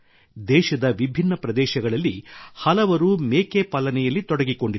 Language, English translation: Kannada, Many people in different areas of the country are also associated with goat rearing